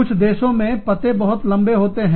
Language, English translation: Hindi, Some countries, the addresses may be longer